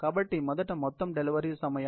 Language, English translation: Telugu, So, let us first look at the total delivery time